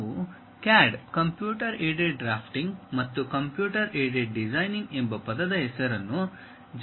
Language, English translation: Kannada, We popularly use a word name CAD: Computer Aided Drafting and also Computer Aided Designing